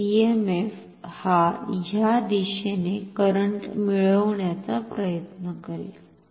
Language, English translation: Marathi, So, the EMF will try to drive our current in this direction here